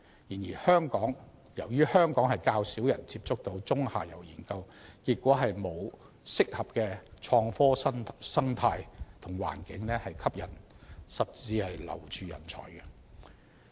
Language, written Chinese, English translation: Cantonese, 然而，由於香港較少人接觸中下游研究，結果沒有合適的創科生態和環境吸引甚至留住人才。, Nevertheless the low prevalence of midstream and downstream researches in Hong Kong has resulted in the absence of a suitable innovation and technology ecosystem and environment to attract or even retain talents